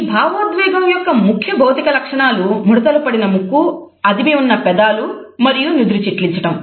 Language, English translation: Telugu, Main physical features are listed as a wrinkled nose, pressed lips and frowning of the forehead